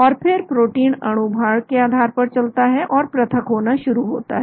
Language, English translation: Hindi, And then protein moves based on molecular weight and so the separation happens